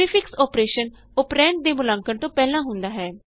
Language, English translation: Punjabi, The prefix operation occurs before the operand is evaluated